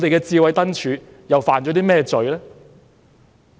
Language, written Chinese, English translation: Cantonese, 智慧燈柱又犯了甚麼罪呢？, What sin did the Smart Lampposts commit?